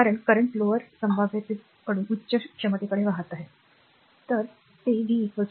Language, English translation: Marathi, Because current is flowing from lower potential to higher potential, right